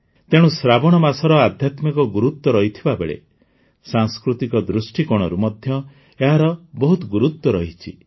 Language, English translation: Odia, That's why, 'Sawan' has been very important from the spiritual as well as cultural point of view